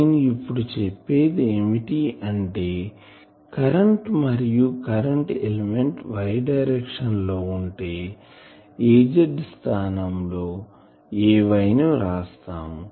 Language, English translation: Telugu, So, now, I can say that if I have a current the current element was y directed then this Az instead of Az that time it will be Ay and this will be Ay directed